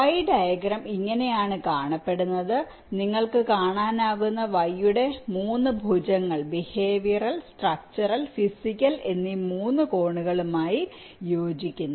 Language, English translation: Malayalam, you can see the three arms of the y corresponds to the three angles of visualization: behavioral, structural, physical